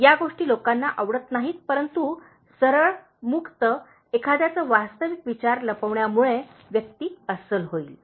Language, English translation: Marathi, These are things people don’t like, but being straightforward, open, not concealing one’s real thoughts will make a person genuine